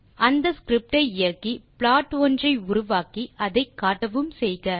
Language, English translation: Tamil, Run the script to produce the plot and display the name